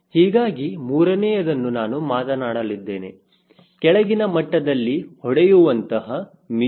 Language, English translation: Kannada, so third one i will talk about is low level strike mission, the low level strike